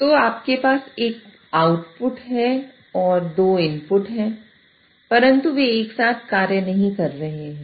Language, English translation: Hindi, So you have one output and two inputs, but they are not simultaneously working